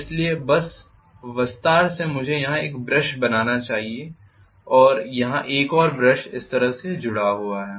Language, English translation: Hindi, So by just extension I should be able to draw a brush here and one more brush here this is how it is connected